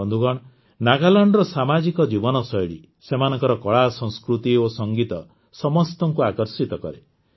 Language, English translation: Odia, Friends, the lifestyle of the Naga community in Nagaland, their artculture and music attracts everyone